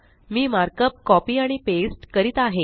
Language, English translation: Marathi, I am copying and pasting the markup